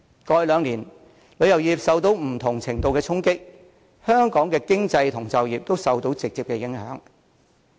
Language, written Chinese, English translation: Cantonese, 過去兩年，旅遊業受到不同程度的衝擊，香港的經濟和就業都受到直接影響。, The tourism industry of Hong Kong has been exposed to various degrees of challenges in the last two years thus affecting directly the economy and employment situation of Hong Kong